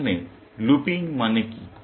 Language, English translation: Bengali, Here, what does looping mean